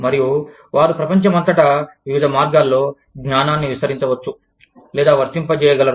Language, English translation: Telugu, And, they are able to expand, or to apply the knowledge, in different ways, all over the world